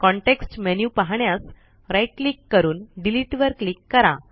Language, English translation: Marathi, Right click to view the context menu and click Delete